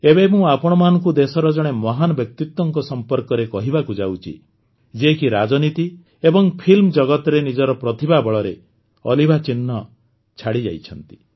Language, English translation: Odia, My dear countrymen, I am now going to discuss with you about a great personality of the country who left an indelible mark through the the strength of his amazing talent in politics and the film industry